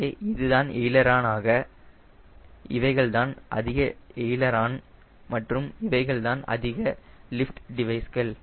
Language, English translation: Tamil, so this is aileron and these are high lift devices